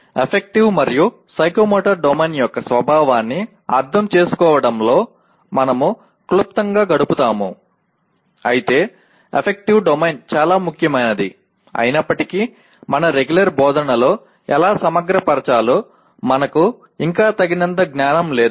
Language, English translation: Telugu, We will spend briefly in understanding the nature of affective and psychomotor domain but we would not be though affective domain is very very important, we still do not have adequate knowledge how to integrate that into our regular instruction